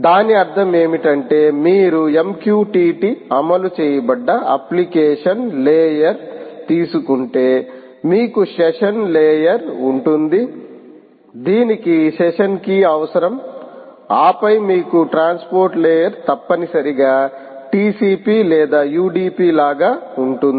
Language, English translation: Telugu, what does essentially it means is, if you take an application layer where m q t t is running, you have the session layer, which essentially requires a session key, a session key, and then you have the transport layer ah, essentially like t c p or u d p